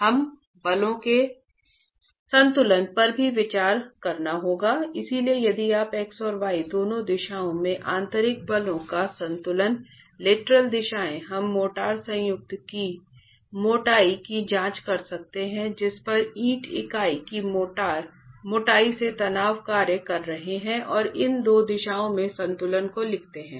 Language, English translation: Hindi, So if you're going to be looking at an equilibrium of internal forces in both the x and the y directions, the lateral directions, we can examine the thickness of the motor joint, the thickness of the brick unit over which these stresses are acting and write down the equilibrium in these two directions